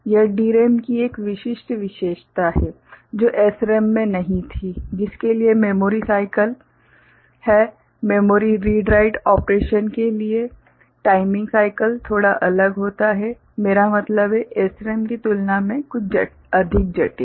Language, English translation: Hindi, This is one specific characteristics of DRAM, which was not there in SRAM for which the memory cycles that are there, the timing cycles for memory read write operation becomes little bit different, I mean some more complicated compared to SRAM